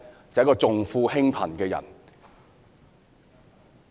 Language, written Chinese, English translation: Cantonese, 就是一個重富輕貧的人。, She is a person who attends to the rich but neglects the poor